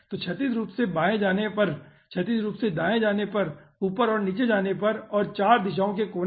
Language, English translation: Hindi, so, aah, going horizontally left, going horizontally right, moving up and moving down, and 4 corner directions